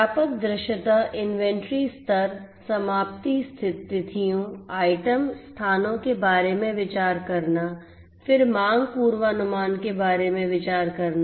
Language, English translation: Hindi, Getting comprehensive visibility inventory levels, getting idea about the expiration dates, item locations, then about the demand forecasting